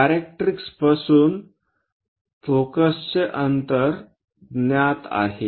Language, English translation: Marathi, The distance from focus from the directrix is known